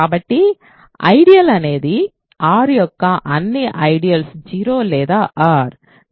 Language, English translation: Telugu, So, the ideal is either all ideals of R are either 0 or R